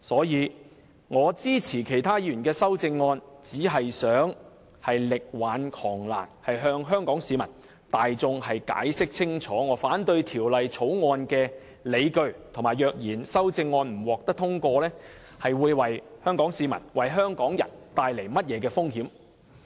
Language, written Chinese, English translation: Cantonese, 因此，我支持其他議員的修正案，只是想力挽狂瀾，向香港市民大眾解釋清楚我反對《條例草案》的理據，以及若然修正案不獲通過，會為香港市民帶來甚麼風險。, Therefore in supporting the amendments proposed by other Members I only wish to do my utmost to stem the raging tide and explain clearly to the Hong Kong public the grounds for my opposition to the Bill as well as what risks they will be exposed to if the amendments are not passed